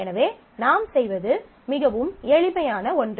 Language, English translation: Tamil, So, what you do is something very simple